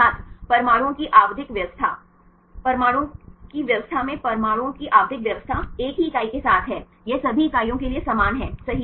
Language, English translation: Hindi, The periodic arrangement of the atoms right in arrangement of atom there is with the same unit right for all this units are same right